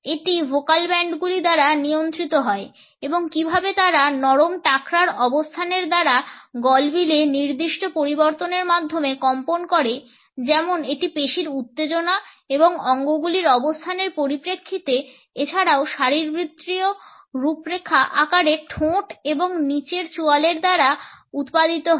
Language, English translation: Bengali, It is controlled in the vocal bands and how do they vibrate by certain changes in the pharynges by the position of the soft palate, by the articulation as it is produced in terms of muscular tension and position of the organs, also by the anatomical configuration shaping of the lips and the lower jaw